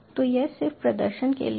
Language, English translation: Hindi, so this is just for the sake of demonstration